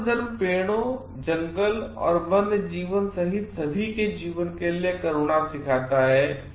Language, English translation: Hindi, Buddhism teaches compassion for all life including trees, forest and wildlife